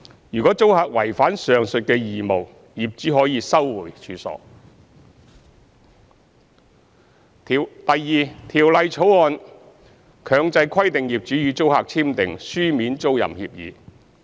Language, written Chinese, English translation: Cantonese, 如租客違反上述義務，業主可收回處所；二《條例草案》強制規定業主與租客簽訂書面租賃協議。, If the tenant is in breach of these obligations the landlord may re - enter the premises; 2 The Bill mandates the signing of a written tenancy agreement by SDU landlords and tenants